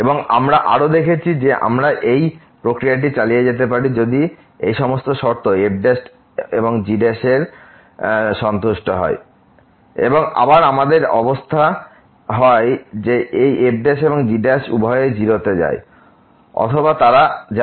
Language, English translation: Bengali, And we have also seen that we can continue this process provided that all the conditions on this prime and prime satisfies and again we have the situation that this prime and prime both they go to 0 or they go to infinity